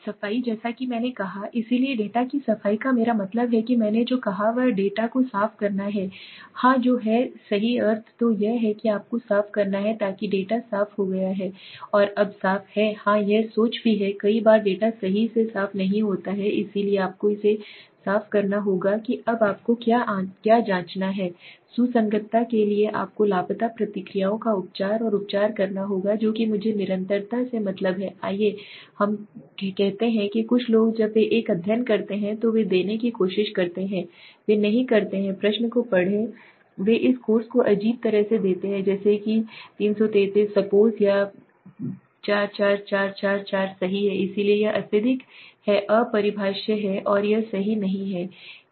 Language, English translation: Hindi, Cleaning as I said, so data cleaning what I meant what I said is to clean the data yes that is the right meaning so you have to clean so that data is cleaned is un cleaned now yes that is also true Many of times the data is not clean right so you have to clean it for what now you have to check for consistency you have to and treatment of missing responses now what I mean by consistency let us say suppose some people I have seen when they do a study they try to give they do not read the question they give odd this course like 333 suppose or 44444 right so this is highly unparticular and this is not possible right